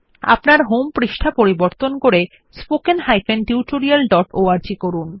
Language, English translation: Bengali, Change your home page to spoken tutorial.org